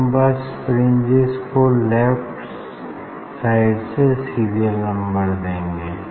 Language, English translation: Hindi, We will just serial number of the fringe from the left